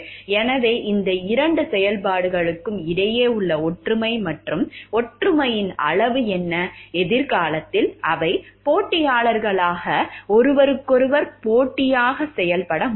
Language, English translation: Tamil, So, what is the degree of similarity and dissimilarity between these two functions, can in future they be acting as competition, competitive to each other